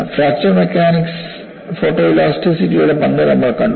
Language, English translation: Malayalam, You know, all along, we have seen the role of photo elasticity in fracture mechanics